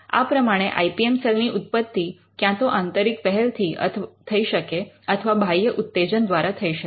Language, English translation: Gujarati, So, the genesis of an IPM cell could be either internally driven or it could be through and external push